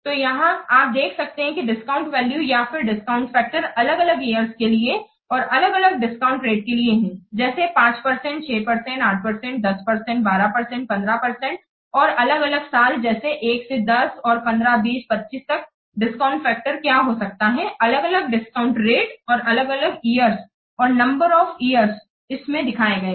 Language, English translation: Hindi, So you can see that the discount values or the discount factors for different years and taking different discount rates like 5%,, 6 percent, 8 percent, 10 percent, 12 percent, 15 percent and different what years like 1 to up to 10, 15, 20, 25, what could be the discount factor with the different discount rates and discount years and the number of years it is shown